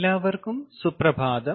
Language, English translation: Malayalam, ok, good morning everyone